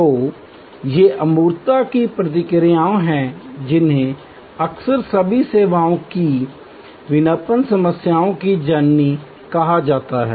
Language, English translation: Hindi, So, these are responses to intangibility which are often called the mother of all services marketing problems